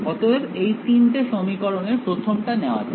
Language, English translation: Bengali, So, let us take of the first of these equations